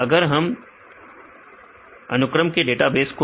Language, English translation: Hindi, If we take the protein sequence database